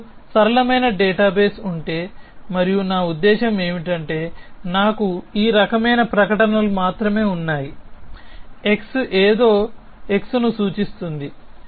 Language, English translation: Telugu, So, if I have a simple database and by simple I mean, I have only statements of this kind something x implies something x